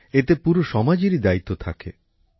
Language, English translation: Bengali, It is the responsibility of the whole society